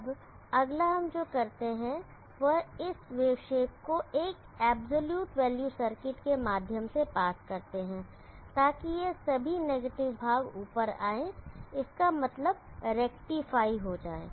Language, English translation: Hindi, Now next what we do is pass this wave shape through an absolute value circuit, so that all this negative portion will bring it up and rectify basically